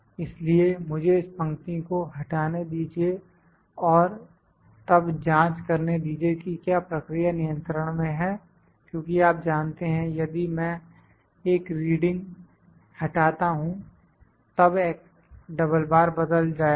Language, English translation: Hindi, So, let me try to eliminate this row and then check whether the process is in control because you know, if I eliminate one reading, would x double bar would change